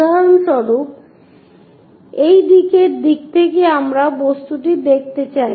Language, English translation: Bengali, For example, from this directions side direction we will like to see the object